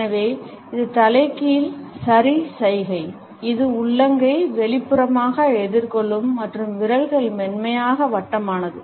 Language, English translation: Tamil, So, this is an inverted ‘okay’ gesture with ones palm, facing outward and fingers are softly rounded